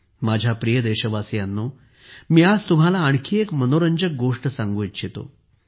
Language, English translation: Marathi, My dear countrymen, today I want to tell you one more interesting thing